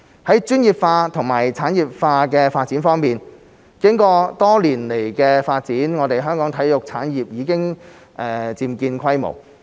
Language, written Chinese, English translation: Cantonese, 在專業化及產業化發展方面，經過多年來的發展，香港的體育產業已漸見規模。, When it comes to promoting the professionalization and industrialization of sports Hong Kongs sports industry after years of development has a considerable scale